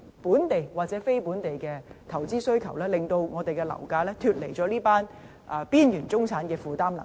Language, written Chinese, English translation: Cantonese, 本地或非本地的投資需求，令樓價脫離了這群邊緣中產人士的負擔能力。, The demand of housing for investment generated either locally or non - locally has pushed up property prices to a level well beyond the affordability of the marginal middle class